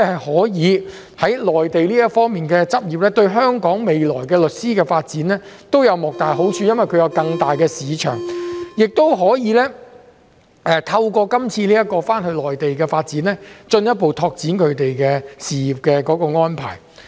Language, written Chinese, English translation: Cantonese, 可以在內地執業，對香港律師未來的發展都有莫大的好處，因為他們會有更大的市場，也可以......透過這項新措施，他們可以回內地發展，進一步拓展他們的事業安排。, The prospect of being able to practise in the Mainland will be greatly beneficial to the future development of Hong Kong legal practitioners as they will then have a larger market and be able to Through this new measure they can develop their careers in the Mainland and advance their career plans further